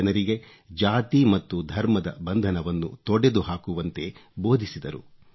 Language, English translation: Kannada, His teachings to people focused on breaking the cordons of caste and religion